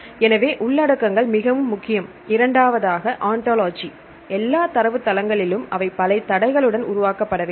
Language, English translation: Tamil, So, contents is very important; and the second one is the ontology in case in all databases we get they have to develop with several constraints